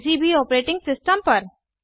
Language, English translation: Hindi, That is, on any Operating System